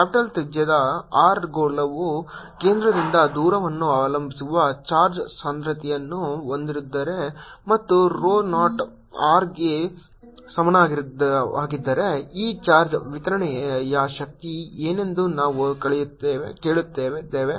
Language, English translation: Kannada, next, question, number four: we are asking: if a sphere of capital radius r has a charge density which depends on the rate distance from the centre and is equal to rho, zero r, then what will be the energy of this charge distribution